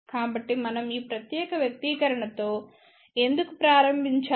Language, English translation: Telugu, So, why are we starting with this particular expression